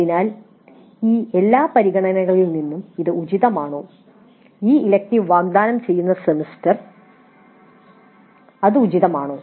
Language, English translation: Malayalam, So from all these considerations is it appropriate the semester in which this elective is offered is it appropriate